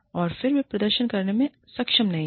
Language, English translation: Hindi, And then, they are not able to perform